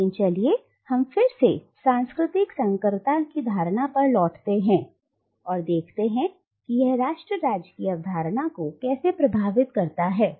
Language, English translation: Hindi, But now let us again return to the notion of cultural hybridity and see how it impacts the concept of nation state